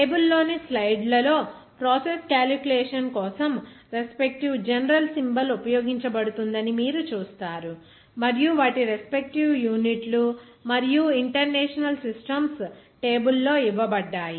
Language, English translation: Telugu, In the slides in the table, you will see that there are respective general symbol that is being used for the process calculation and also their respective units and international systems are given in the table